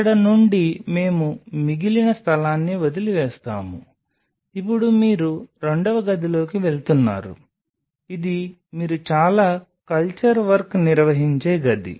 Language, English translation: Telugu, Then from here we will leave the rest of the space, now you are moving into the second room which is the room where you will be performing most of the culture work